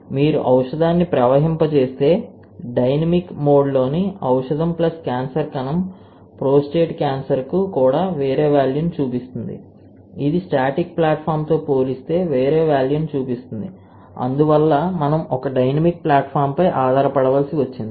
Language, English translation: Telugu, So, we can see that when you flow the drug that drug plus cancer cell in a dynamic mode is showing a different value for also prostate cancer, it shows a different value compared to the static platform and that is why we had to rely on a dynamic platform